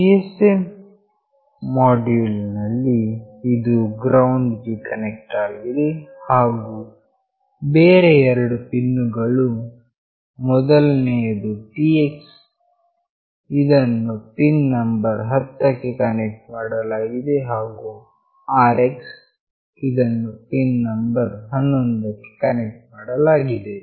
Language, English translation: Kannada, For the GSM module, this is connected to GND and the other 2 pins, the first one is Tx that will be connected to pin number 10, and Rx is connected to pin number 11